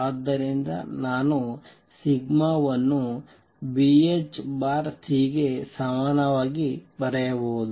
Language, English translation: Kannada, And therefore, I can write sigma as equal to B h over C